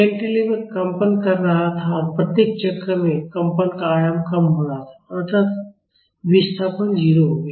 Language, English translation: Hindi, The cantilever was vibrating and the amplitude of vibration was reducing at each cycle and eventually the displacement became 0